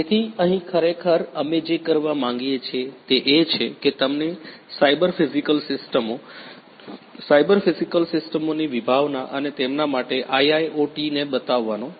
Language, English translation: Gujarati, So, here actually what we intend to do is to show you the use of cyber physical systems, the concept of cyber physical systems and IIoT over here